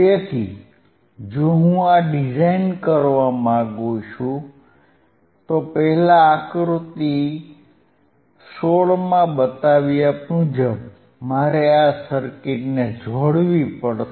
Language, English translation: Gujarati, I have to first connect this circuit as shown in figure 16 as shown in figure 16